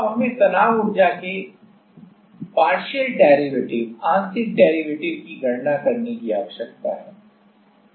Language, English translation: Hindi, Now we need to calculate the partial derivatives of strain energy